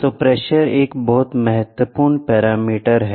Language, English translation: Hindi, So, pressure is a very very important parameter